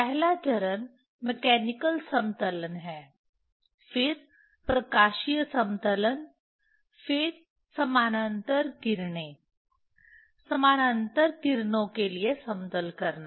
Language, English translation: Hindi, First step is mechanical leveling, then optical leveling, then parallel rays leveling for parallel rays